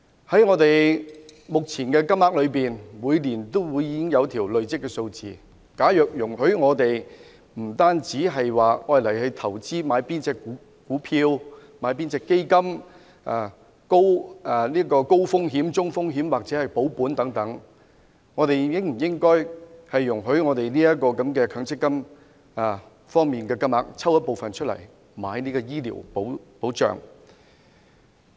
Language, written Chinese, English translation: Cantonese, 在目前的強積金中，每年都會累積一定的金額，除了容許我們投資股票、基金，選擇高風險、中風險或保本投資之外，應否容許我們運用部分強積金購買醫療保險？, MPF currently accumulates a certain amount of money every year . In addition to investing in equities and funds and choosing high - risk medium - risk or capital - guaranteed investments should we be allowed to use some of our MPF benefits to take out medical insurance?